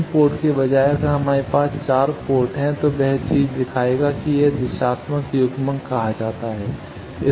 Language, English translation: Hindi, Instead of 3 port if we have 4 port that thing will show that it is called directional coupler